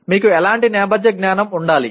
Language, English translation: Telugu, What kind of background knowledge that you need to have